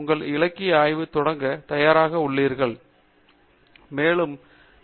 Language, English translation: Tamil, So, which means that you are ready to start your literature survey